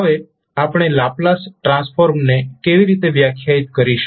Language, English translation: Gujarati, Now, how we will define the Laplace transform